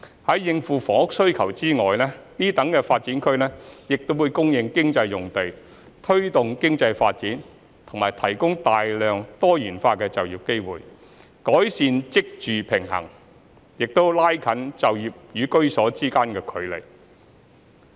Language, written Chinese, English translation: Cantonese, 在應付房屋需求外，此等新發展區亦會供應經濟用地，推動經濟發展及提供大量多元化就業機會，改善職住平衡，亦拉近就業與居所之間距離。, In addition to meeting housing demand these new development areas will also provide land for economic use promote economic development and provide a large number of diversified job opportunities improving the job - housing balance and bringing the distance between employment and homes closer